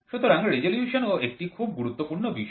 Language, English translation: Bengali, So, this is also very important resolution